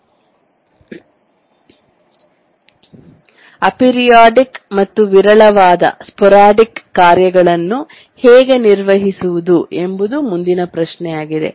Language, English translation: Kannada, The next question comes is that how do we handle aperiodic and sporadic tasks